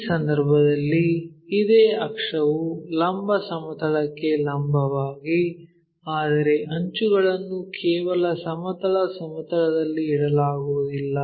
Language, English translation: Kannada, In case same axis perpendicular to vertical plane, but edges it is not just resting on horizontal plane